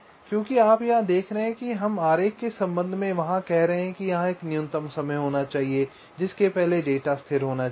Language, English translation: Hindi, so here we are saying in there, with respect diagram, that there must be a minimum time here before which the data must be stable